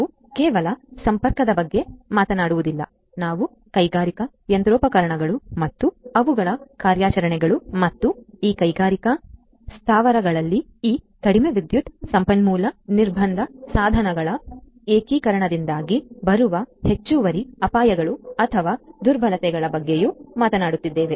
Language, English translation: Kannada, We are not just talking about connectivity, we are also talking about the industrial machinery and their operations and the additional risks or vulnerabilities that come up due to the integration of these low power resource constraint devices in these industrial plants